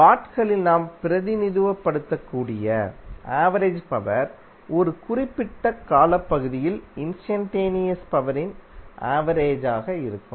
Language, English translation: Tamil, So average power we can represent in Watts would be the average of instantaneous power over one particular time period